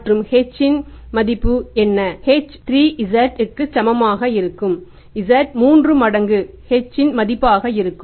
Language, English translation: Tamil, H will be equal to 3 Z